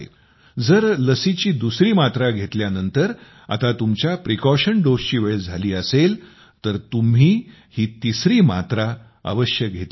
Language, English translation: Marathi, If it is time for a precaution dose after your second dose, then you must take this third dose